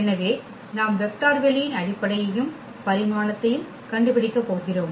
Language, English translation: Tamil, So, we have to we are going to find the basis and the dimension of the vector space